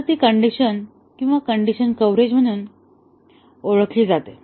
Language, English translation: Marathi, So, that is known as the condition or decision coverage